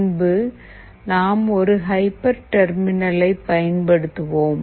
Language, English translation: Tamil, What is a hyper terminal